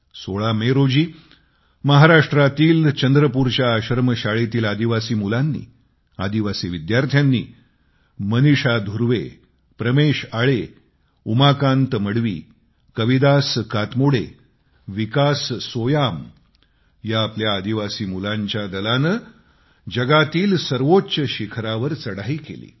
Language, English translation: Marathi, On the 16th of May, a team comprising five tribal students of an Ashram School in Chandrapur, Maharashtra Maneesha Dhurve, Pramesh Ale, Umakant Madhavi, Kavidas Katmode and Vikas Soyam scaled the world's highest peak